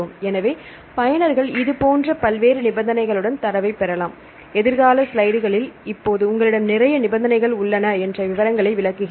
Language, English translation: Tamil, So, users can obtain the data with various such conditions, in the future slides I will explain the details now you have you have lot of conditions